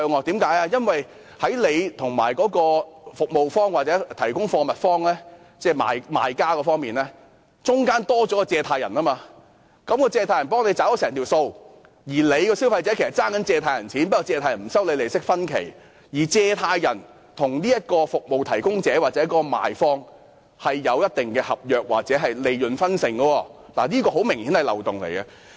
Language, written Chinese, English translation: Cantonese, 這是因為在消費者與服務方或提供貨物方——即是賣方——中間多了一位放債人，交易實際上是由放債人代為付款，所以消費者其實是欠了放債人的錢，放債人只是不收取利息，而放債人與服務提供者或賣方之間亦有合約或利潤分成，這很明顯也是一個漏洞。, The transaction is actually paid by the money lender on behalf of the consumer . Therefore the consumer actually owes the lender money just that the latter does not charge an interest . Besides there is a contract or a profit - sharing arrangement between the money lender and the service provider or seller which is obviously a loophole